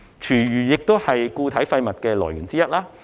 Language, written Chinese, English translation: Cantonese, 廚餘亦是固體廢物的來源之一。, Food waste is a source of solid waste as well